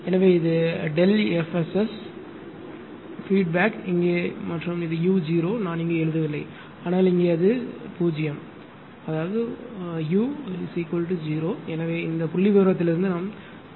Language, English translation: Tamil, So, and this is your delta F S feedback is here and u is 0 I am not writing here, but here it is u 0 u is equal to ah your 0, right